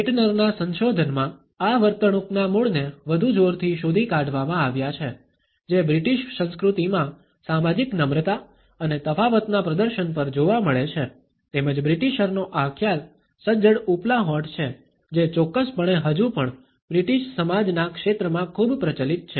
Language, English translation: Gujarati, Keltners research has traced the roots of this behavior in the greater emphasis, which is found in the British culture on the display of social politeness and difference as well as this concept of the British is stiff upper lip which is a still very much practiced in certain circles of the British society